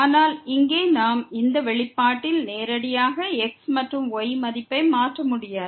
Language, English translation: Tamil, But here so we cannot substitute thus directly the value of and in this expression